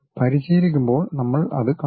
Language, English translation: Malayalam, When we are practicing we will see